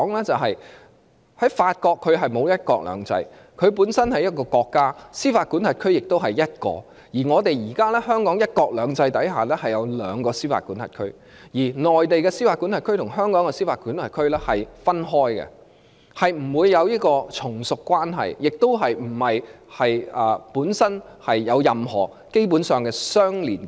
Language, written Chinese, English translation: Cantonese, 就是法國沒有"一國兩制"，她本身是一個國家，司法管轄區亦只有一個；而香港在"一國兩制"下，是獨立的司法管轄區；而內地的司法管轄區與香港的司法管轄區是分開的，兩個司法管轄區不會有從屬關係，亦沒有任何根本上的相連結。, It is because there is no One Country Two Systems in France . She is one state and she only has one jurisdiction . In Hong Kong under the framework of One Country Two Systems Hong Kong is an independent jurisdiction and the jurisdiction of the Mainland is separated from that of Hong Kong